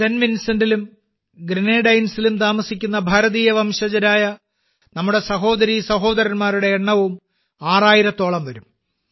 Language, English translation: Malayalam, The number of our brothers and sisters of Indian origin living in Saint Vincent and the Grenadines is also around six thousand